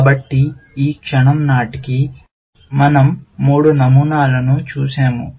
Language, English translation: Telugu, So, by this moment, we have looked at three patterns